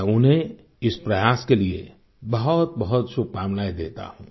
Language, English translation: Hindi, I extend my best wishes on this effort of hers